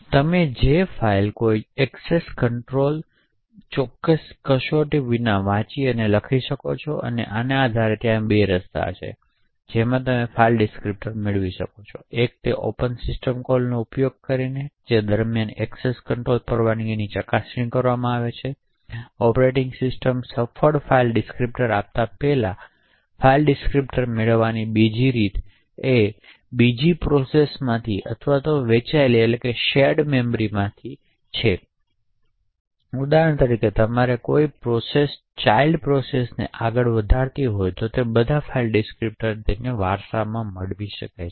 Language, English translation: Gujarati, You can read and write to that file without any access control test which are done, so based on this there are two ways in which you can obtain a file descriptor, one is through using the open system call during which access control permissions are checked by the operating system before giving you a successful file descriptor, a second way to obtain a file descriptor is from another process or from shared memory, for example when a process spawns a child process than a child process would can inherit all the file descriptors